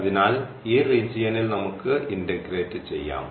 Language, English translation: Malayalam, So, this is the region which we want to integrate over this region